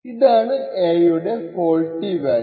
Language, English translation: Malayalam, So this is the faulty value of a